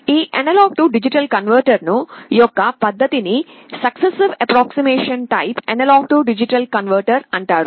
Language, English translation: Telugu, This method of A/D conversion is called successive approximation type A/D converter